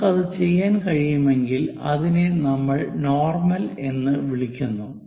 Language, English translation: Malayalam, If we can do that, that is what we call normal